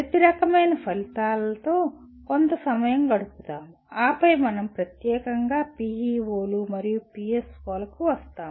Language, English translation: Telugu, Let us briefly spend some time with each type of outcome and then we will more specifically come to PEOs and PSOs